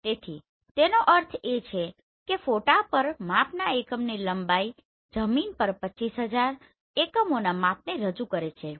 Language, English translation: Gujarati, So it means that a length of one unit of measurement on the photo represents 25,000 units of measurement on the ground